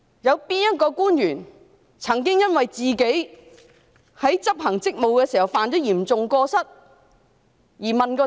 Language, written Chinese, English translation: Cantonese, 有哪位官員曾因自己在執行職務時犯下嚴重過失而問責？, Which officials have been held accountable for committing serious misconduct in performing their duties?